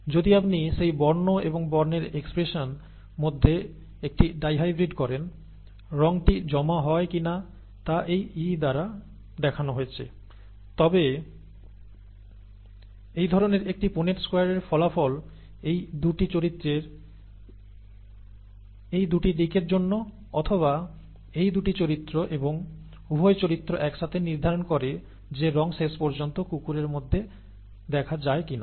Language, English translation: Bengali, If you do a dihybrid between colour and expression of that colour, okay, whether the whether the colour is deposited as shown by this E, then this kind of a Punnett square results from these 2 characters for these 2 aspects, or these 2 characters and both those characters together determine whether the colour is seen ultimately in the dog or not